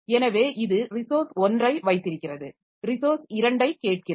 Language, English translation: Tamil, So, it is holding resource 1 and it is asking for resource 2